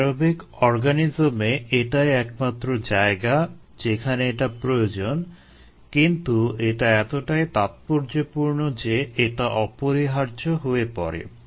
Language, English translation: Bengali, that's the only place where it is required by aerobic organisms, but that so crucial that ah it becomes essential